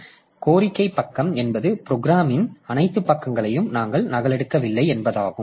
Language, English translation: Tamil, So, demand page means that we don't copy the all the pages of the program